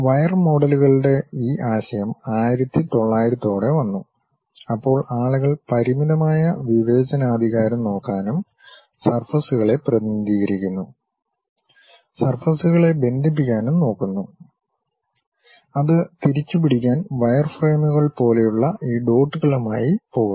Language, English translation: Malayalam, This concept of wire models came around 1900, when people try to look at finite discretization and try to understand that represent the surfaces, connect the surfaces; to recapture people used to go with these dots like wireframes